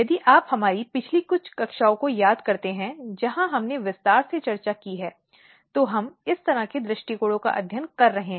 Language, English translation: Hindi, If you recall our previous few classes where we have discussed in detail, what kind of approaches we are taking to study